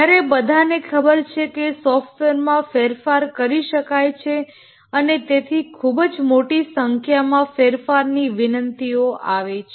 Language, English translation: Gujarati, Whereas everybody knows that software can be changed and therefore lot of change requests come